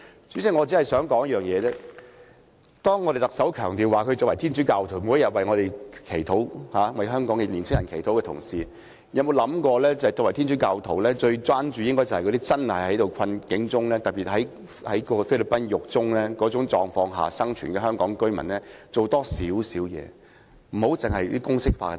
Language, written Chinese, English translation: Cantonese, 主席，當特首強調她是天主教徒，每天為我們、為香港年輕人祈禱的同時，有否想過她作為天主教徒，最應關注那些真正處於困境的人，並特別為那些被囚在菲律賓監獄的香港居民多做點工作？, President when the Chief Executive stresses that she is a Catholic and prays for us and for the young people of Hong Kong every day has she ever considered that she should as a Catholic care about those who are really in distress and in particular do more work for those Hong Kong residents who are imprisoned in the Philippines?